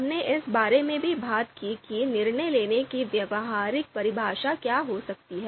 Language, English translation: Hindi, We also talked about what could be a you know practical definition of decision making